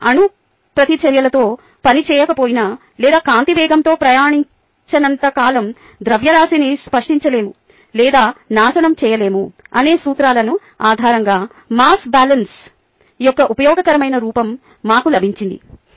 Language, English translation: Telugu, we got a useful form of the mass balance based on the principles that mass can neither be created nor destroyed as long as you are not working with nuclear reactions or not traveling at the speeds of light